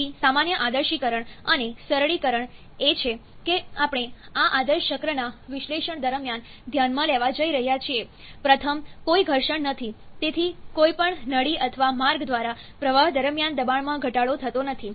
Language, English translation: Gujarati, So, the common idealisation and simplification is that we are going to consider during the analysis of this ideal cycles, the first is no friction therefore, no pressure drop during flow through any duct or passage